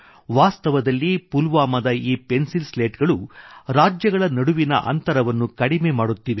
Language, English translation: Kannada, In fact, these Pencil Slats of Pulwama are reducing the gaps between states